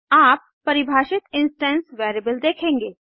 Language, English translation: Hindi, You will see the instance variable you defined